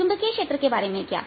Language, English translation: Hindi, how about the corresponding magnetic field